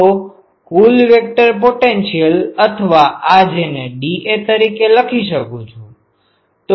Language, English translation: Gujarati, So, total vector potential or these also I can write it as dA